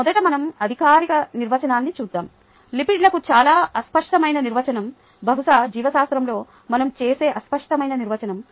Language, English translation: Telugu, let us first look at the formal definition, a very vague definition for lipids, probably the vaguest definition that we will come across in biology